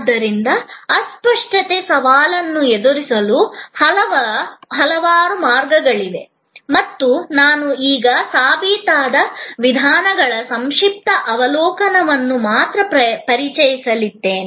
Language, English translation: Kannada, So, there are number of ways of addressing the challenge of intangibility and I am now going to only introduce to you, a brief overview of those proven approaches